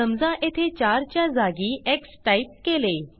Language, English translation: Marathi, Suppose here, we type x in place of 4